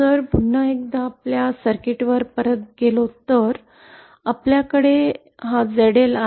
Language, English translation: Marathi, So if go back to our circuit once again we have ZL